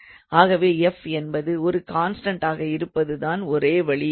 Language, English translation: Tamil, So, it is very easy to see if f is constant